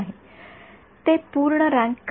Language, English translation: Marathi, And why it is not full rank